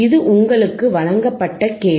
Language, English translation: Tamil, tThis is the question given to you